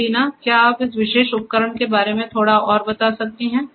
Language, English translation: Hindi, So, Deena, so could you explain little bit further about this particular instrument